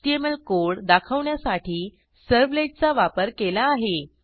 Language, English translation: Marathi, We used the servlet to display an HTML code